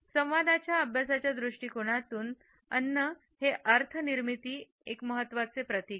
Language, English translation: Marathi, From the perspective of communication studies, food continues to be an important symbol in the creation of meaning